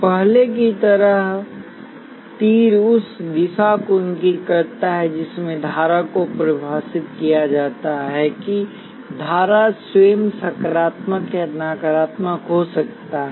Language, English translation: Hindi, As before, the arrow indicates the direction in which the current is defined that current itself could be positive or negative